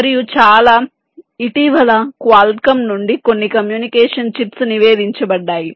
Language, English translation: Telugu, and very recently some communication chips from have been reported